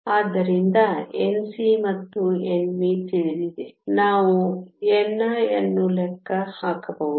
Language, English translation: Kannada, So, N c and N v are known, we can calculate n i